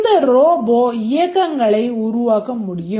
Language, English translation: Tamil, Let's look at this robot and this robot can make movements